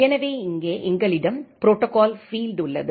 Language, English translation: Tamil, So, here we have the protocol field the protocol field is GBSP